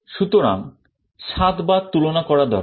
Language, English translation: Bengali, So, 7 comparisons are required